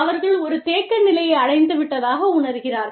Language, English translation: Tamil, They feel, that they have reached a stagnation point